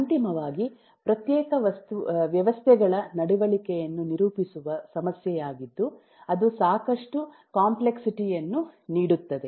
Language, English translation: Kannada, finally is a problem of characterizing the behavior of discrete systems, which adds a lot of complexity